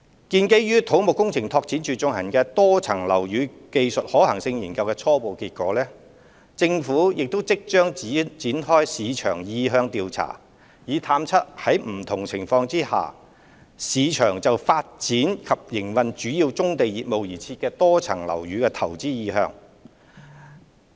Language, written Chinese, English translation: Cantonese, 基於土木工程拓展署進行以多層樓宇容納棕地作業的技術可行性研究的初步結果，政府即將展開市場意向調查，探測在不同情況下，市場就發展及營運為主要棕地業務而設的多層樓宇的投資意向。, Riding on the initial findings of studies commissioned by the Civil Engineering and Development Department confirming the technical feasibility of using MSBs for accommodating brownfield operations the Government will launch a market sounding exercise shortly to ascertain the market interest towards developing and running MSBs for key brownfield businesses under different scenarios